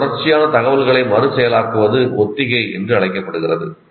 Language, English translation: Tamil, So this continuous reprocessing of information is called rehearsal